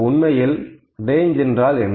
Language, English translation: Tamil, What is actually range